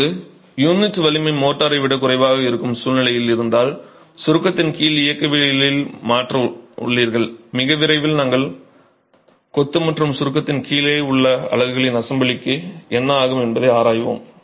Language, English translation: Tamil, Now if you have a situation where the unit strength is lesser than the motor, you have a change in the mechanics under compression and very soon we will be examining what happens to an assembly of masonry and units under compression